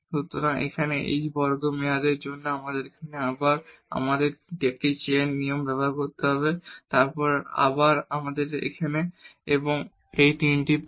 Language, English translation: Bengali, So, here for h square term we have again here we have to use this chain rule then again here and here so, all these three terms